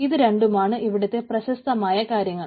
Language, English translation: Malayalam, so these are the two popular thing